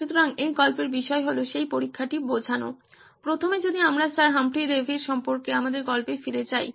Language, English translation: Bengali, So the point of this story is to convey that testing, first of all if we go back to my story about Sir Humphry Davy